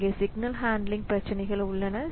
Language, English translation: Tamil, Then there are issues with signal handling